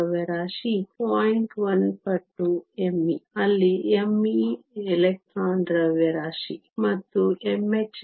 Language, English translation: Kannada, 1 times m e, where m e is the mass of the electron; and m h star is 0